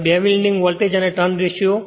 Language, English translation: Gujarati, Now, two winding voltage and turns ratio right